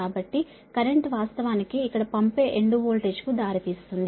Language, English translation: Telugu, so current actually is leading, the sending end voltage here also